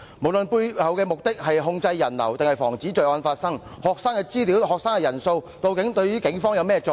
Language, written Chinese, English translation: Cantonese, 不論背後的目的是控制人流或防止罪案發生，學生的資料及人數對警方有何作用？, Regardless of whether the purpose is to regulate people flows or prevent crimes what is the use of student information and the number of participants to the Police?